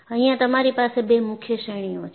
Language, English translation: Gujarati, So, in this, you have two main categories